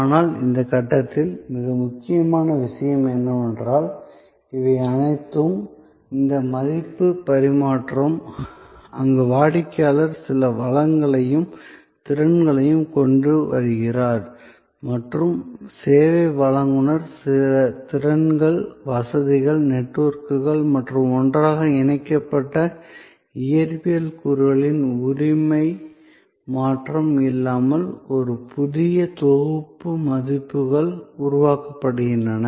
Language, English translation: Tamil, But, the most important point at this stage also to note is that, all these, this exchange of value, where the customer brings certain resources and competencies and the service provider brings certain skills, facilities, networks and together a new set of values are created without any change of ownership of the physical elements involved